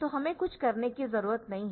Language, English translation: Hindi, So, I do not have to do anything